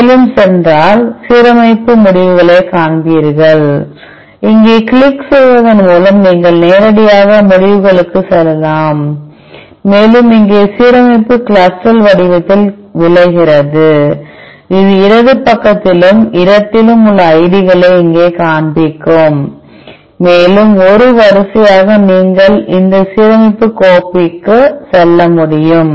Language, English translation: Tamil, If you scroll further you will see the alignment results, you can directly go to the results by clicking here, and here the alignment results in CLUSTAL format, which is the displayed here the IDs on the left side and space, further as a sequence you can say this alignment file